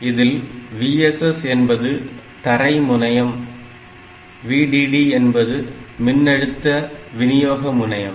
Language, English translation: Tamil, So, the in general this VSS point is the ground point and VDD is the supply voltage point